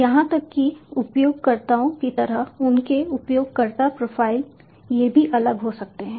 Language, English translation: Hindi, even the kind of users, their user profiles, these can also be different